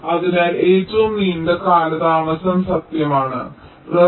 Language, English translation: Malayalam, so my longest delay is true